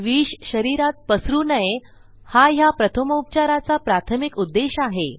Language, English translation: Marathi, The primary purpose of this first aid is to stop the poison from circulating throughout the body